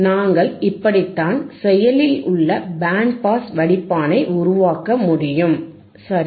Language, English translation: Tamil, aAnd this is how we can create your active band pass filter, right